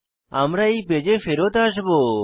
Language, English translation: Bengali, We will come back to this page